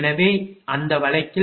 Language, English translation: Tamil, So, in that case you will get A 2 is equal to P 3 r 2 plus Q 3 x 2 minus 0